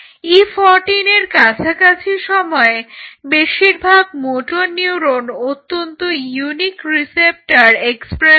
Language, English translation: Bengali, So, at around E 14 there are motor neurons most of the motor neuron expresses are very unique receptors